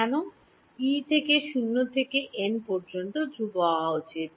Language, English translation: Bengali, Why should E be constant from 0 to n